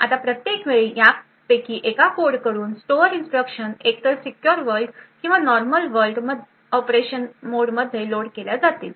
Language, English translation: Marathi, Now every time there is load of store instruction from one of these codes either the secure world or the normal world mode of operation